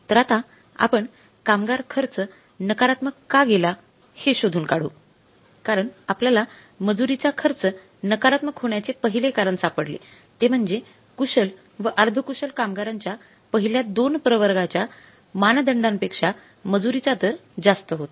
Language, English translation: Marathi, So we could find out the first reason for the labor cost becoming negative because labor rate paid was higher as against the standard for the first two category of the workers that is skilled and semi skilled